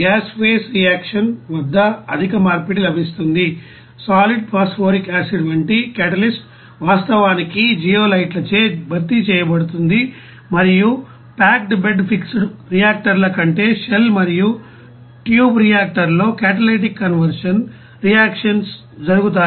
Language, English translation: Telugu, But high conversion is obtained at the gas phase reactions, the catalyst like solid phosphoric acid are actually replaced by zeolites and catalytic conversion reactions are held in shell and tube reactor rather than packed bed fixed reactors